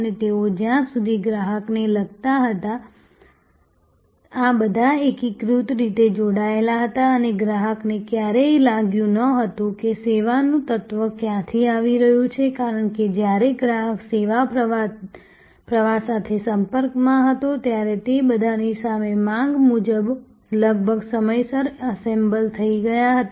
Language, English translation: Gujarati, And they as far as the customer was concerned, all these were seamlessly connected and the customer never felt, where the service element was coming from, because they were all assembled almost on time on demand in front of the, when the customer was in contact with the service stream